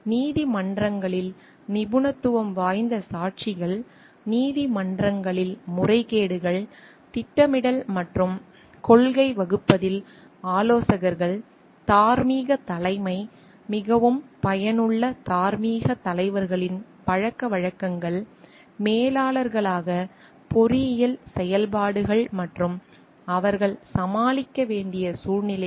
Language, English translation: Tamil, Expert witnesses in courts, abuses in courts, advisors in planning and policy making, moral leadership, habits of highly effective moral leaders, engineering functions as managers and the situations that they must tackle